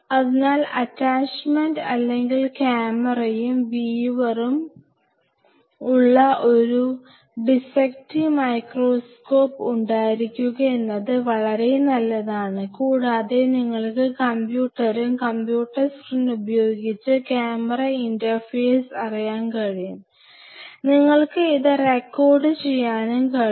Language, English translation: Malayalam, So, it is a good practice to have a good dissecting microscope, with possible attachment or camera and viewer and this viewer could be in computer you can you know interface the camera with the computer and the computer screen you can see and you can record it